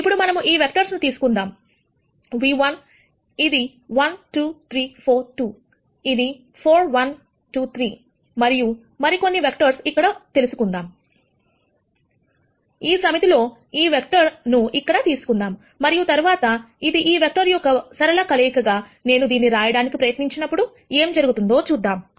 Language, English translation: Telugu, Let us take this vectors v 1 which is 1 2 3 4 v 2 which is 4 1 2 3 and let us take some vector here, in this set let us take this vector here, and then see what happens, when I try to write it as a linear combination of these 2 vectors